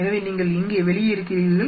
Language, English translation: Tamil, So, you are out here